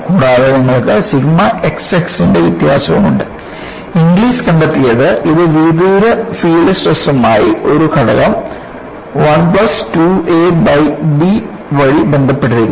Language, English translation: Malayalam, And, you have the variation of sigma x x and Inglis found that, this is related to the far field stress by a factor 1 plus 2 a by b